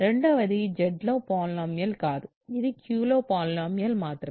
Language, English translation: Telugu, But, the second one is not a polynomial over Z, it is only a polynomial over Q